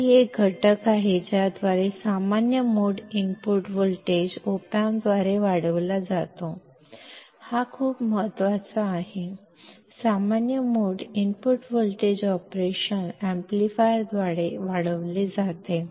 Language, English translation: Marathi, That it is a factor by which the common mode input voltage is amplified by the Op amp; this word is very important, common mode input voltage is amplified by the operation amplifier